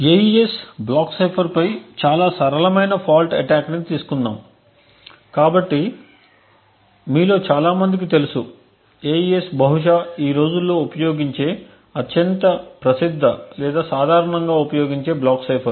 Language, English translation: Telugu, Let us take a very simple fault attack on the AES block cipher, so as many of you would know the AES is probably the most famous or more commonly used block cipher used these days